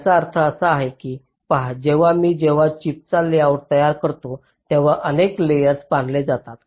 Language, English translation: Marathi, see what this means is that when i create the layout of a chip, there are several layers which are constructed first